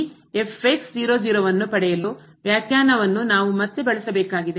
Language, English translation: Kannada, We have to use again this definition